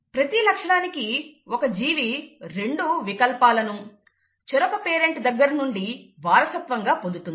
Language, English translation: Telugu, For each character, the organism inherits two alleles, one from each parent